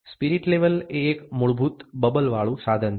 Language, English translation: Gujarati, A spirit level is a basic bubble instrument